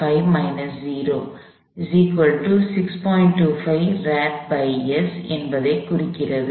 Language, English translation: Tamil, 25 radians per second